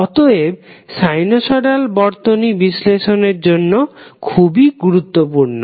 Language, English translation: Bengali, So, therefore the sinusoids are very important for our circuit analysis